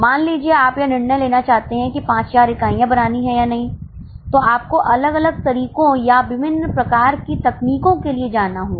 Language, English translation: Hindi, Suppose you want to decide whether to make 5,000 units or not then you will have to go for different methods or different types of techniques